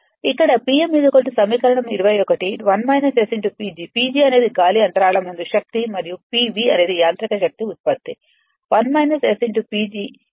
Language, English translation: Telugu, Here P m is equal to equation 21 1 minus S P G, P G is the air gap power and p v is the mechanical power output that is 1 minus S P G